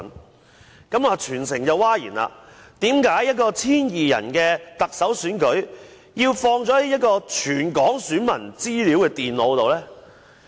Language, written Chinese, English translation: Cantonese, 事件令全城譁然，為何一個只有 1,200 人參與的特首選舉，有關電腦中會載有全港選民的資料呢？, This incident caused a public uproar . In a Chief Executive Election with only the participation of 1 200 people why would the computers contain the personal particulars of all voters in Hong Kong?